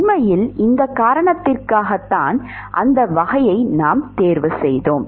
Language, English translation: Tamil, In fact, it is for this reason why we chose that type of a scale